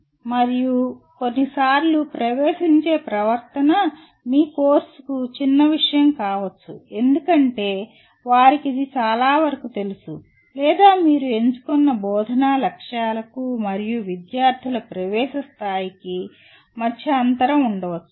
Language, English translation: Telugu, And sometimes the entering behavior may be such that your course may become trivial for the, because they already know most of it, or there may be such a gap between the instructional objectives that you have chosen and the entering level of the students